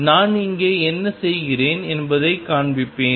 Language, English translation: Tamil, I will keep showing what I am doing here